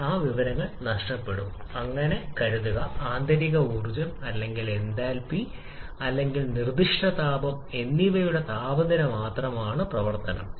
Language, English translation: Malayalam, Also, assuming air to be ideal gas we are considering properties like internal energy or enthalpy or specific heat to be function of temperature alone